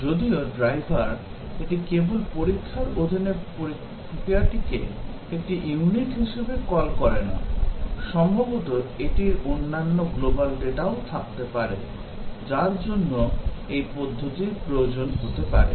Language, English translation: Bengali, Whereas the driver, it not only calls the procedure under test that is a unit, it possibly might have other global data and so on, which this procedure might need